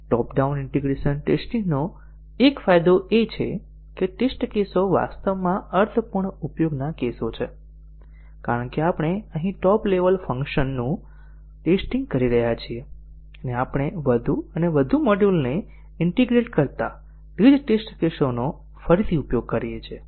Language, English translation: Gujarati, One advantage of the top down integration testing is that the test cases are actually meaningful use cases, because we are testing the top level functionality here, and also we reuse the same test cases as we integrate more and more module